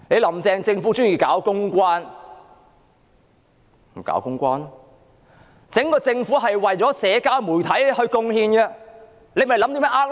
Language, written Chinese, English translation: Cantonese, "林鄭"政府喜歡搞公關，於是整個政府都是為社交媒體而貢獻，設法"呃 Like"。, Since Carrie LAMs Government favours public relations the entire Government will make contributions to social media striving to get Likes